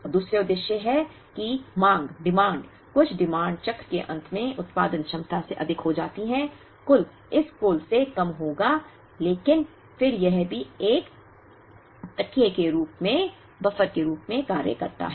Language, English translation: Hindi, And the second purpose is when the demand, some of the demands exceeds the production capacity at the end of the cycle, the total will be less than this total, but then this also acts as a cushion